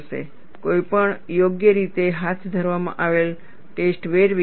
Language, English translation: Gujarati, Any properly conducted test would have scatter